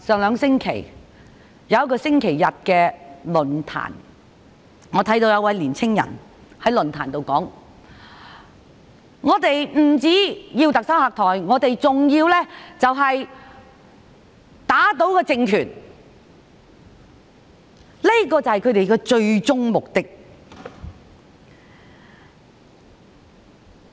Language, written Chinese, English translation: Cantonese, 兩星期前在某個星期日的論壇上，我看到一位青年人說他們不單要特首下台，更要打倒政權，這便是他們的最終目的。, At a Sunday forum held two weeks ago a young person said that they wanted the Chief Executive to step down and more importantly their ultimate goal was to overthrow the regime